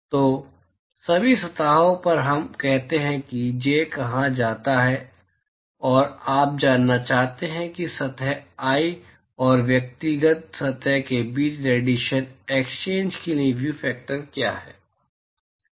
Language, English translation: Hindi, So, over all surfaces let us say called j and you want to know what is the view factor for radiation exchange between surface i and the individual surface